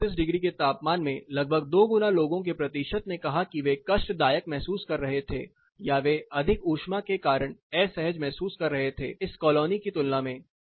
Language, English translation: Hindi, At same temperature say a temperature of 31 degrees almost double the percentage of people said they were feeling uncomfortable, or they were experiencing heat discomfort compared to this particular thing